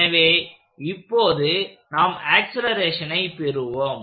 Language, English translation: Tamil, So, now, let us get to the acceleration part